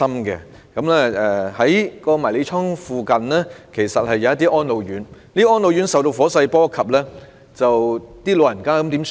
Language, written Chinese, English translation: Cantonese, 在涉事迷你倉附近的一些安老院亦遭受火勢波及，長者該怎麼辦呢？, Some residential care homes for the elderly RCHEs near the mini - storage in question were also affected by the fire . What were the elderly people therein supposed to do then?